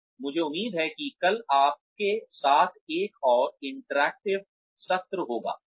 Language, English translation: Hindi, And, I hope to have a more interactive session, with you tomorrow